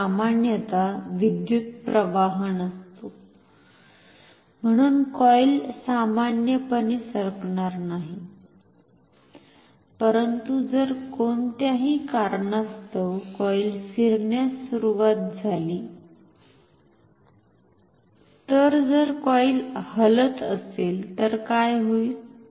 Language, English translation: Marathi, So, normally there is no current, so, the coil will not move normally, but if the coil starts to rotate due to any reason, if the coils say if the coil is moving, then what happens